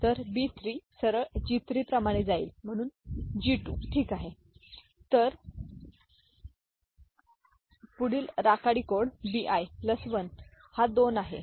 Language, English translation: Marathi, So, B 3 straight away goes as G 3, so G 2, ok, so the next gray code is B i plus 1 this is 2